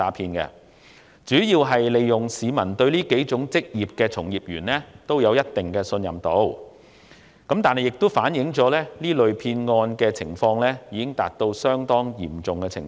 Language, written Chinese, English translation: Cantonese, 騙徒主要是利用市民對上述數種職業從業員的信任，但現實情況亦反映這類騙案已達到相當嚴重的程度。, The fraudsters mainly take advantage of the publics trust in the above mentioned occupations and this kind of fraud has actually become very rampant